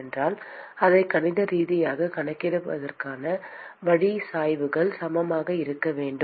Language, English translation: Tamil, And if the way to account it mathematically is that the gradients have to be equal